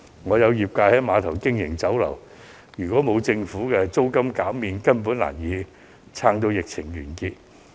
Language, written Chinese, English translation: Cantonese, 我有業界朋友在郵輪碼頭經營酒樓，如果政府沒有減租，他根本難以支撐至疫情完結。, One of my friends in the trade is operating a Chinese restaurant at the Cruise Terminal . According to him his restaurant will not be able to survive the epidemic without the support of Governments rent reduction